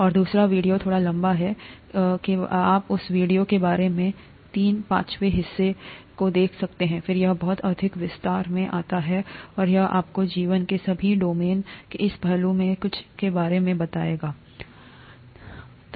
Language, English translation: Hindi, And the second video is slightly longer, about, you could watch about three fifths of that video, then it gets into too much detail and this would tell you all about the domains of life and some of these aspects also